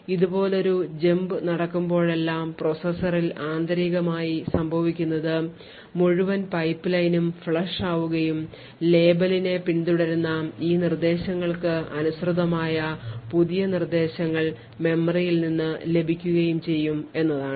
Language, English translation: Malayalam, So, whenever there is a jump like this what would happen internally in a processor is that the entire pipeline would get flushed and new instructions corresponding to these instructions following the label would get fetched from the memory